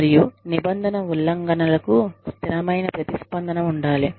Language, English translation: Telugu, And, consistent response to rule violations